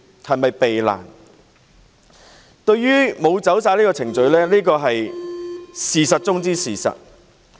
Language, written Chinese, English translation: Cantonese, 政府並無依足程序辦事是事實中的事實。, It is the very first fact that bears testimony to the Government not following the procedures fully